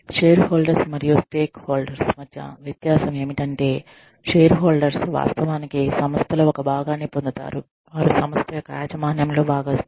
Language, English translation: Telugu, The difference between shareholders and stakeholders is, that shareholders are people, who actually get a piece of the pie, who are part owners of the organization